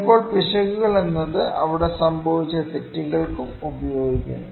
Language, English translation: Malayalam, Sometimes errors is the term that is also used for the mistakes there were made